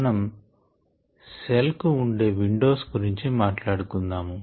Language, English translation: Telugu, we are going to begin talking about windows to the cell